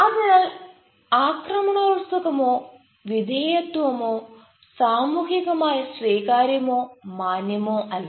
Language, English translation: Malayalam, so neither aggressive nor submissive is socially acceptable or respectable